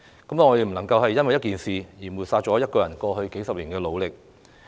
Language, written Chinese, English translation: Cantonese, 我們不能因為一件事而抹煞她過去數十年的努力。, We cannot write off her efforts in the past decades just because of one incident